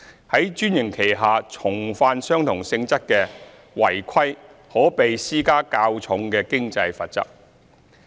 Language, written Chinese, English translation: Cantonese, 在專營期下重犯相同性質的違規可被施加較重的經濟罰則。, A heavier financial penalty would be imposed for repeated non - compliance of the same nature during the franchise period